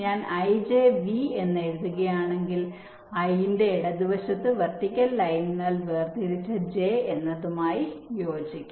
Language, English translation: Malayalam, if i write i, j, v, this will correspond to: j is on the left of i, separated by vertical line